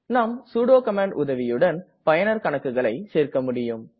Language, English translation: Tamil, We can add any user account with the help of sudo command